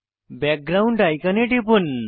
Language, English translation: Bengali, Click on Background icon